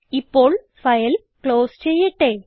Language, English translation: Malayalam, Now lets close this file